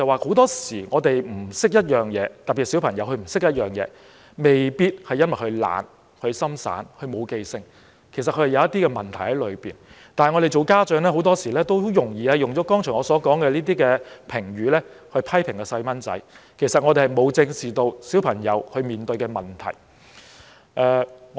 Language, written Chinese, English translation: Cantonese, 很多時候，我們不懂得一些事，特別是小孩不懂得一些事，未必因為小孩懶惰、不專心、沒有用心記住，其實他可能另有問題，但我們作為家長，很多時候很容易用了我剛才所說的評語來批評小孩，而沒有正視小孩面對的問題。, It is saying that very often when we have not learnt something and particularly when a child has not learnt something it does not necessarily mean that the child is lazy fails to concentrate or makes no effort to remember . In fact there may be other problems . However parents often use the above mentioned comments to criticize children without addressing the problems they encounter